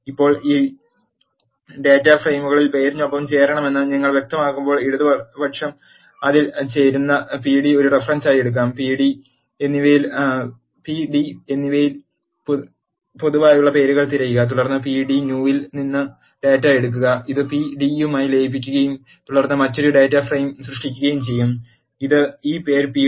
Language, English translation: Malayalam, Now, when you specify I want to join this 2 data frames by name, the left join it will take p d as a reference, look for the names that are common in both p d and p d new and then take the data from the p d new, and merge it with the p d and then create another data frame, which is given by this name p d left join 1